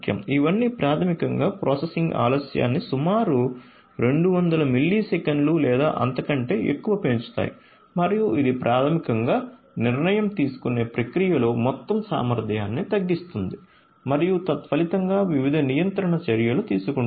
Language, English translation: Telugu, So, all of these basically increases the processing delay by about 200 millisecond or even more and this basically reduces the overall you know this basically reduces the overall efficiency in the decision making process and taking different control actions consequently